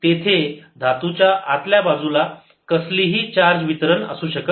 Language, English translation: Marathi, they cannot be any charge distribution inside the metal